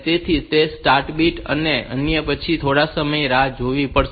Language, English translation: Gujarati, So, that will be the start bit then we have to wait for some bit time